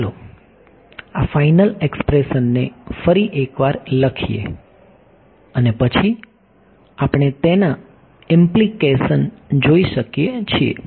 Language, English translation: Gujarati, So, let us write down this final expression once again and then we can see the implications of it